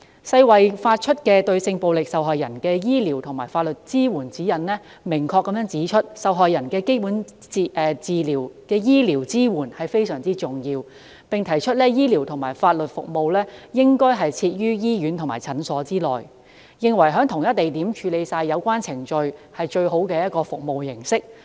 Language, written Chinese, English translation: Cantonese, 世衞發出的《對性暴力受害人之醫療及法律支援指引》明確指出，對受害人的基本醫療支援非常重要，醫療及法律服務應設於醫院和診所內，而且在同一地點處理所有相關程序是最好的服務模式。, As clearly stipulated in the Guidelines for medico - legal care for victims of sexual violence issued by WHO the offering of basic medical support to victims is of paramount importance . These medical and legal services should be provided in hospitals and clinics because having all relevant procedures undertaken in the same place is the best mode of service delivery